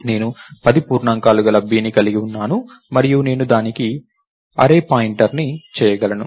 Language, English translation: Telugu, So, I have b which is of 10 integers and I could make array point to that